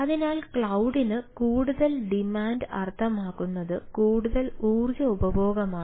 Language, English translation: Malayalam, so it is more more demand for cloud, more energy consumption and so and so forth